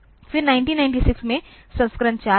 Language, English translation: Hindi, Then in 1996 the version 4 came